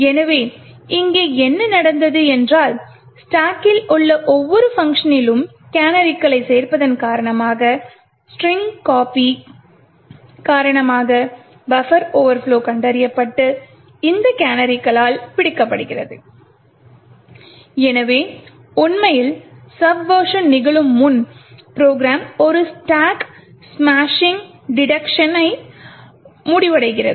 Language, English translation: Tamil, So what has happened here is due to the addition of the canaries in each function in the stack the buffer overflows due to the string copy gets detected and caught by these canaries and therefore before subversion actually happens, the program terminates with a stack smashing detection